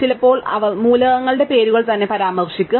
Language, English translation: Malayalam, Sometimes they will refer to names of the elements themselves